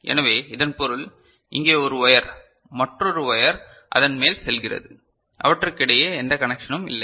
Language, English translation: Tamil, So, that means, here is one wire, another wire is just going over it, there is no connection between them